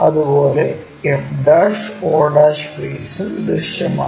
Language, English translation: Malayalam, Similarly, f' o' that face also visible